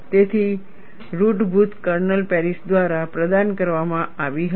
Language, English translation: Gujarati, So, the basic kernel was provided by Paris